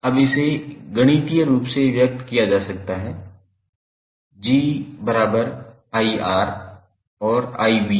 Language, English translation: Hindi, Now, it can be expressed mathematically as G is nothing but 1 by R